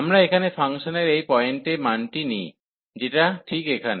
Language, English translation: Bengali, And we take the value at this point of the function, which is here